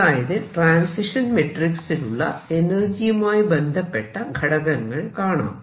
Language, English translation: Malayalam, So, we have got on these transition matrix element now energy